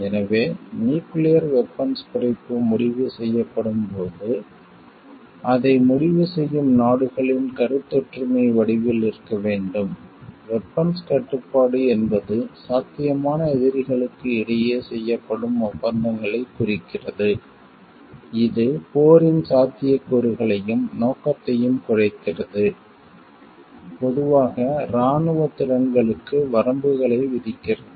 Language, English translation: Tamil, So, when nuclear disarmament is decided it needs to be in the form of like consensus by the countries who decide for it, arms control refers to treaties made between potential adversaries that reduce the likelihood and scope of war, usually imposing limitation on military capabilities